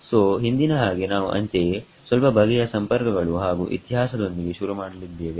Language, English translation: Kannada, So, as before, we would like to start with a little bit of sort of contacts and history